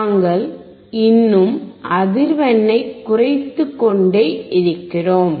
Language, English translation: Tamil, We still keep on decreasing the frequency